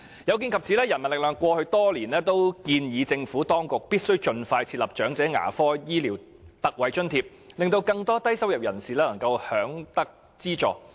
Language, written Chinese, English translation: Cantonese, 有見及此，人民力量過去多年均建議政府當局必須盡快設立長者牙科醫療特惠津貼，令更多低收入人士能享有資助。, Such being the case the People Power has been urging the Government over the past many years to introduce ex - gratia allowances for elderly dental services as soon as possible so that subsidies could be granted in this respect to more low - income earners